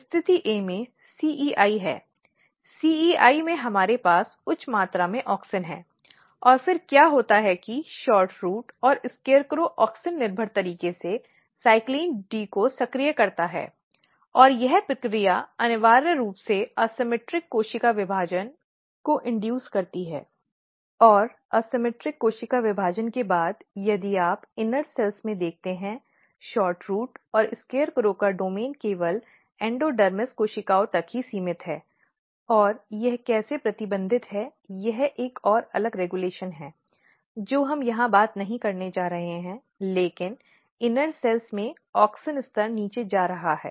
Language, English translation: Hindi, So, this is your position A is basically CEI in CEI we have high amount of auxin and then what happens that SHORTROOT and SCARECROW activates CYLCLIN D in auxin dependent manner and this process essentially induce asymmetric cell division and after asymmetric cell division if you look in the inner cells what happens the domain of SHORTROOT and SCARECROW is restricted only to the endodermis cells and how it is restricted is another different regulation which we are not going to talk here, but what happens that in inner cells since auxin level is going down